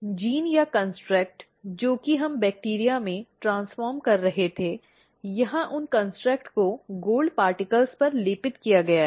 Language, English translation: Hindi, The gene or the construct that we were transforming into the bacteria, here those construct are coated on the gold particles